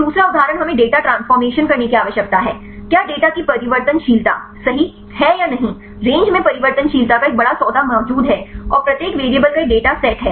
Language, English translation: Hindi, Then the second one we need to do the data transformation for example, whether the variability of data right there exist a great deal of variability in the range right and the distribution of each variable the data set right